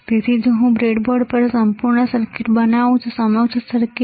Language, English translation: Gujarati, So, if I make the entire circuit on the breadboard entire circuit